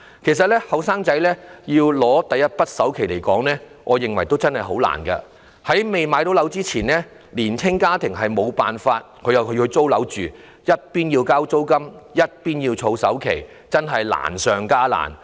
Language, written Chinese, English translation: Cantonese, 其實，年輕人要拿出第一筆首期實在很困難，在未能置業前，年青家庭無法不住在出租樓宇，他們一邊要繳交租金，另一邊又要儲首期，確實是難上加難。, In fact it is definitely tough for young people to afford the down payment . Before acquiring their own flats young families have no options other than living in rented housing units . The difficulty is made all the more serious as they have to pay rent while saving up for down payment